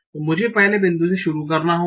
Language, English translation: Hindi, So I have to start with the first point